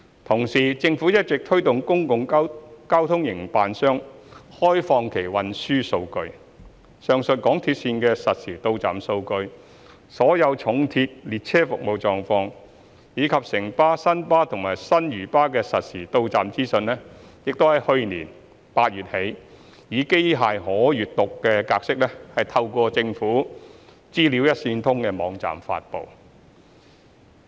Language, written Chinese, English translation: Cantonese, 同時，政府一直推動公共交通營辦商開放其運輸數據，上述港鐵線的實時到站數據、所有重鐵列車服務狀況，以及城巴、新巴和新嶼巴的實時到站資訊已於去年8月起，以機器可閱讀格式透過政府"資料一線通"網站發布。, At the same time the Government has been encouraging public transport operators to make open their transport data . The real time arrival information of the above MTR lines and the service status information of all heavy rail as well as the real time arrival information of Citybus New World First Bus and New Lantao Bus has been made available in a machine readable format via the PSI Portal datagovhk of the Government since last August